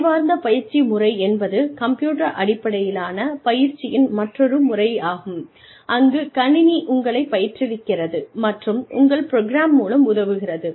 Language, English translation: Tamil, intelligent tutoring system is, another method of computer based training, where the system itself, tutors you, and helps you get through, your program